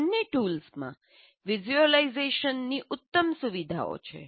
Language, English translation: Gujarati, And both the tools have excellent visualization features